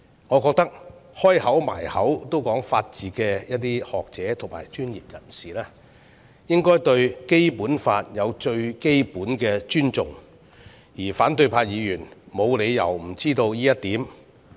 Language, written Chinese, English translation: Cantonese, 我認為經常將法治掛在口邊的學者和專業人士，應該對《基本法》有最基本的尊重，而反對派議員沒有理由不知道這一點。, In my opinion the scholars and professionals who keep touting the rule of law should have the most basic respect for the Basic Law and there is no reason why Members of the opposition camp do not understand this point